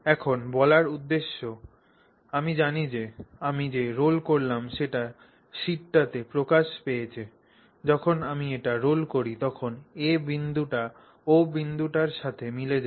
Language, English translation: Bengali, Now, the idea of saying I know how I rolled it is basically translated to this sheet to say that when I roll it I get the point A to coincide with the point O